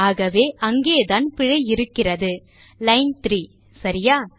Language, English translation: Tamil, So thats where the error is on line 3, okay